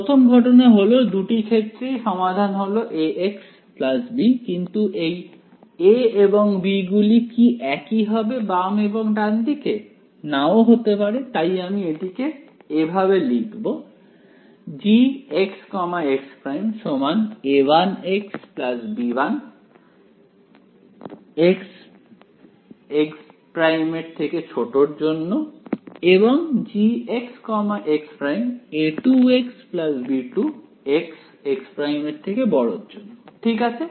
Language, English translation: Bengali, The first case in both cases the solution is A x plus B right, but will these A’s and B’s be the same on the left and right need not be right, so I will write it as A 1 x plus B 1 and A 2 x plus B 2 ok